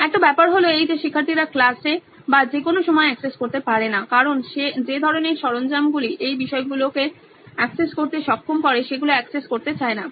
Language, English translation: Bengali, One is the fact that students are not able to access content in class or at any point of time they want to access because of the kind of tools that enable you to access these contents